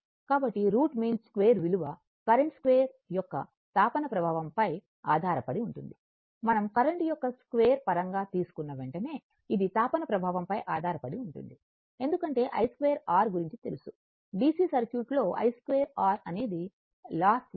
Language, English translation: Telugu, So, root mean square value depends on the heating effect that is square of the current as soon as we are taking in terms of square of the current basically, it depends on the heating effect because i square r we have seen, i square r is lost in the DC circuit